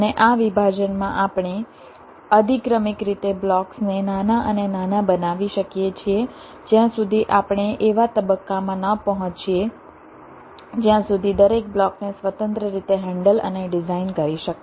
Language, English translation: Gujarati, ok, and this decomposition we can carry out hierarchically, making the blocks smaller and smaller until we reach a stage where each of the blocks can be handled and designed independently